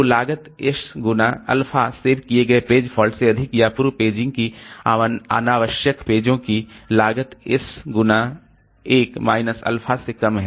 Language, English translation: Hindi, So, is the cost S into alpha saved pages falls greater or less than the cost of pepaging s into 1 minus alpha unnecessary pages